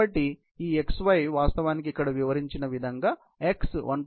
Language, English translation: Telugu, So, this x y would actually, become equal to 1